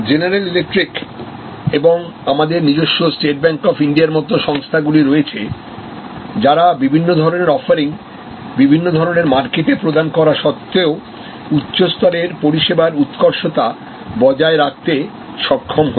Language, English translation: Bengali, There are companies like general electric or even our own State Bank of India, who have been able to maintain high level of service excellence in spite of their wide variety of offerings, in spite of the wide variety of markets they serve